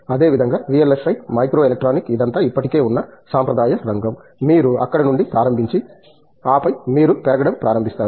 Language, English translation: Telugu, Similarly, VLSI, microelectronic it is all tradition which is already there, you start from there and then you start growing